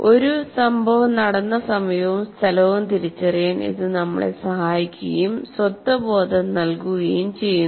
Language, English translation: Malayalam, It helps us to identify the time and place when an event happened and gives us a sense of identity